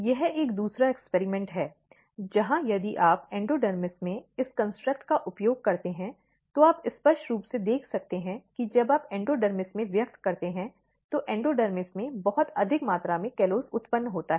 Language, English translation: Hindi, This is another experiment where if you use this construct in the endodermis, you can clearly see when you express in the endodermis very high amount of callose are getting produced in the endodermis